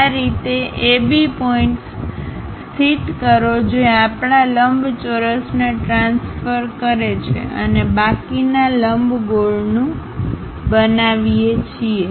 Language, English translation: Gujarati, In this way locate AB points transfer our rectangle and construct the remaining ellipse